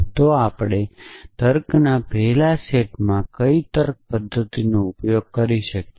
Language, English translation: Gujarati, So, what is the reasoning mechanism that we can use in first set of logic